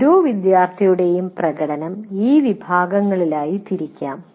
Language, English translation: Malayalam, That is, each one, student performance you can divide it into these categories